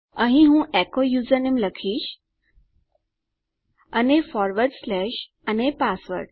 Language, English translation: Gujarati, Here I will say echo the username and forward slash and password